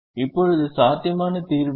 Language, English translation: Tamil, now, what is a feasible solution